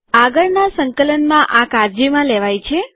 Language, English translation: Gujarati, On next compilation this is taken care of